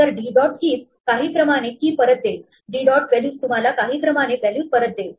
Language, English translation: Marathi, So, d dot keys returns the key is in some order, d dot values gives you the values in some order